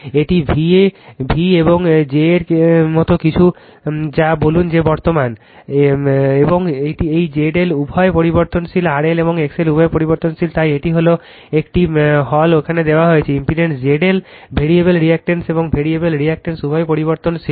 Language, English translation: Bengali, It is something like your v and j say this the current I and this Z L is variable both R L and X L are variable right, so that is why that is that is that is given here, impedance Z L is variable resistance and variable reactor both are variable